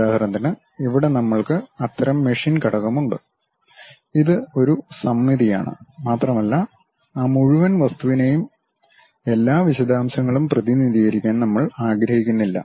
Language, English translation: Malayalam, For example, here we have such kind of machine element; it is a symmetric one and we do not want to really represent each and every detail of that entire object